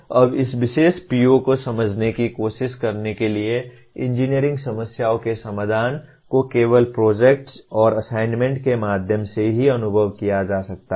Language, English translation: Hindi, Now trying to just kind of understand this particular PO, designing solutions for engineering problems can only be experienced through projects and assignments